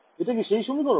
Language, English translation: Bengali, This equation over here